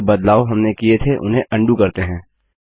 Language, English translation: Hindi, Let us undo the change we made